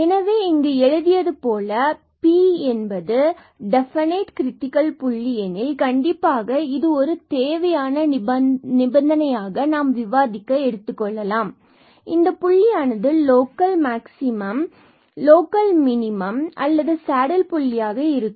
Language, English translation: Tamil, So, here as written there if ab is a critical point so definitely because this is a necessary condition to discuss that, this point is a local point of local maximum minimum or a saddle point